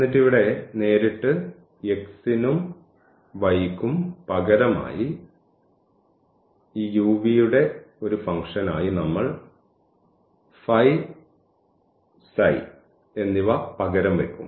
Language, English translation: Malayalam, And then we straightaway substitute here for x this phi and for y, we will substitute the psi as a function of this u v